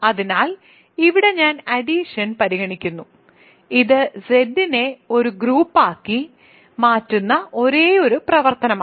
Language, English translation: Malayalam, So, here I am considering the addition, which is the only operation which makes Z a group